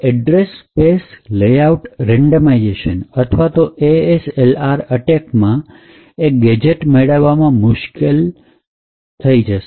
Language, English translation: Gujarati, Now the Address Space Layout Randomisation or the ASLR works so as to make it difficult for the attacker to find such gadgets